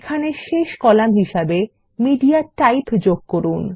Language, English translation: Bengali, Here let us introduce MediaType as the last column